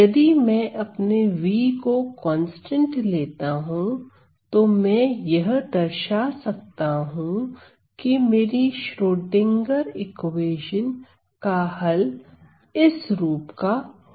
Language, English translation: Hindi, If I take my v to be constant I can show that my solution to this Schrodinger equation is of this form